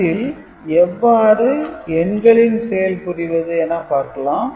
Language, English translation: Tamil, So, let us see how the arithmetic is done